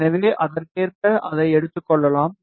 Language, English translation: Tamil, So, we will take it accordingly